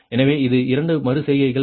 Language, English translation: Tamil, so this is up to this is only two iterations